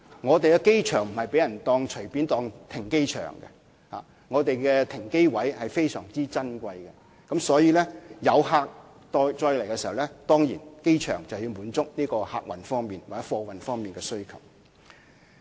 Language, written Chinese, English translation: Cantonese, 香港國際機場並不會容許隨便用作停機場，香港國際機場的停機位是非常珍貴的，所以，每當有飛機載客或運貨到香港時，機場便要滿足客運和貨運方面的需要。, The Hong Kong International Airport will not allow arbitrary parking of aircraft as the parking spaces at the Hong Kong International Airport are very precious . Hence with the arrival of any passenger or cargo flight in Hong Kong our airport will have to satisfy the needs in passenger and cargo operations